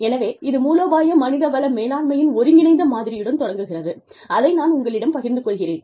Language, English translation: Tamil, So, it talks about, it starts with an integrated model, of strategic human resource management, that i will share with you